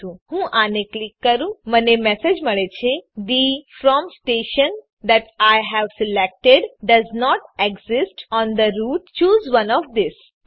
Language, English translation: Gujarati, So let me click this i get the message The From station that i have selected does not exist on the route choose one of these